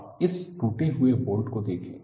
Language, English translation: Hindi, You look at this broken bolt